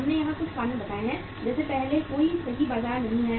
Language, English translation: Hindi, We have put here some reasons like first is no perfect markets